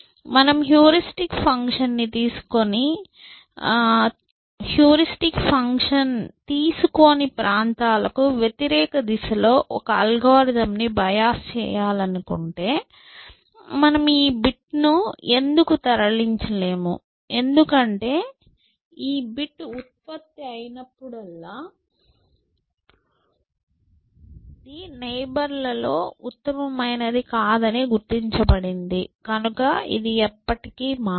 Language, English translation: Telugu, If you want to bios a algorithm, opposite towards those areas which the heuristic function is not taking it to, why did you not move this bit, because whenever this bit was generated, it is the noted generated was not the best amongst the neighbors and so, it never got changed essentially